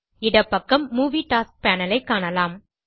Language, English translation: Tamil, On the left hand side, you will see the Movie Tasks Panel